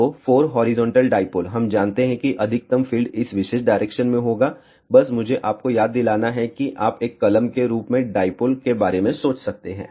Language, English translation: Hindi, So, 4 horizontal dipole we know that maximum field will be in this particular direction just recall I have mentioned to you, that you can think about a dipole as a pen